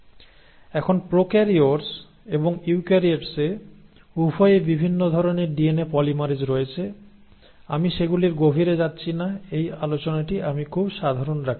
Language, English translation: Bengali, Now there are different types of DNA polymerases both in prokaryotes and eukaryotes, I am not getting into details of those, I want to keep this class very simple